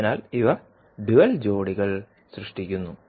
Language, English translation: Malayalam, So, these create the dual pairs